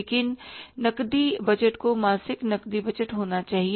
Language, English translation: Hindi, You call it as that is the monthly cash budget